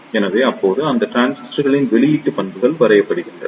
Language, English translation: Tamil, So, now, output characteristics of these transistors are drawn